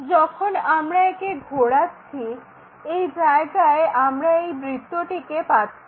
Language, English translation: Bengali, And, when we are rotating it, this is the place where we get this circle